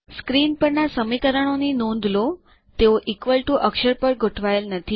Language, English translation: Gujarati, Notice the equations on the screen, and they are not aligned on the equal to character